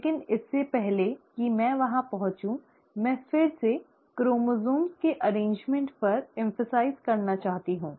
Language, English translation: Hindi, But before I get there, I again want to re emphasize the arrangement of chromosomes